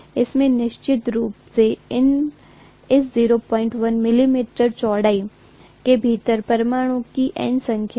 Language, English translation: Hindi, This has definitely N number of atoms within that 0